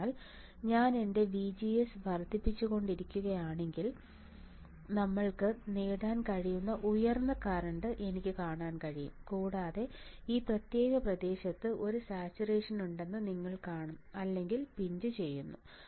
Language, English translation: Malayalam, So, if I keep on increasing my VGS I can see the higher current we can obtain, and this particular region you will see that there is a saturation or pinch off region right